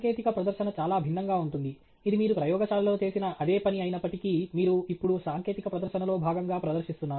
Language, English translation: Telugu, Technical presentation is quite a bit different, even though it’s pretty much the same work that you have done in the lab, which you are now presenting as part of a technical presentation